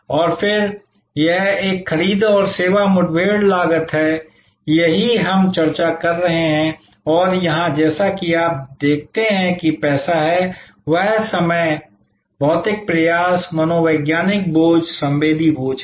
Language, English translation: Hindi, And then, that is a purchase and service encounter cost, this is what we have been discussing and here as you see there is money; that is time, physical effort, psychological burden, sensory burden